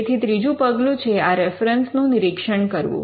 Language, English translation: Gujarati, Now the third step involves reviewing these references